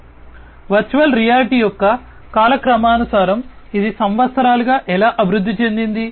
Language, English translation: Telugu, So, in terms of the chronological order of virtual reality, how it you know it has evolved over the years